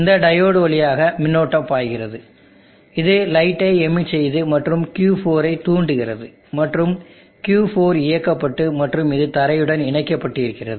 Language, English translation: Tamil, There is current flow through this diode, it emits light and triggers Q4 and Q4 goes on and this is connected to the ground